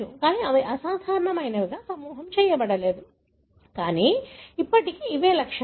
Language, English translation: Telugu, But, they are not grouped as something abnormal, but still these are traits